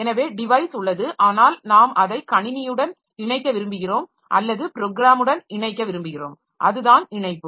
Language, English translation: Tamil, So, the device is there but we want to get it attached to the system or attached to the program